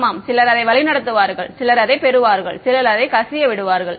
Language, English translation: Tamil, Yeah some will be some will guide it some will get will leak out ok